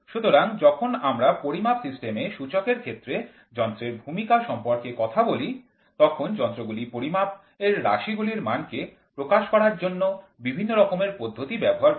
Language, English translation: Bengali, So, when we talk about the role of instruments in measuring system indicating function, the instruments use different kinds of method for supplying information concerning the variable quantities under measurements